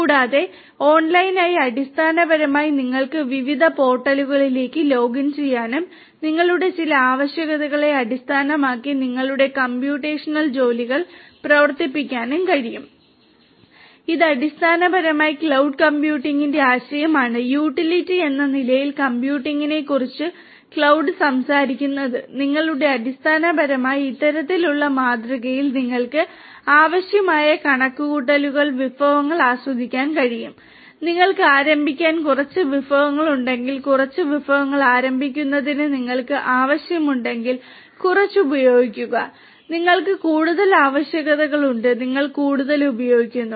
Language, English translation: Malayalam, And through online basically you would be able to login to different portals and be able to run your computational jobs based on your certain requirements, this is basically the concept of cloud computing; computing as utility is what cloud talks about and you basically can enjoy in this kind of model as much of computational resources that you need, if you have less resources to start with, if you have requirements for less resources to start with you use less if you have more requirements you use more you know